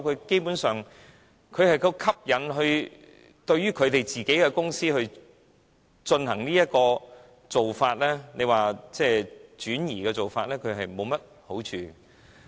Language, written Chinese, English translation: Cantonese, 基本上，他們若吸引對於自己的公司採用這做法，即轉移的做法，是沒有好處的。, Basically no interest is involved if they attract Irish airlines to adopt such a shift of tax regime